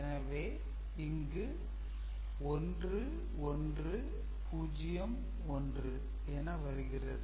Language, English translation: Tamil, So, this is 1 1 0 1 only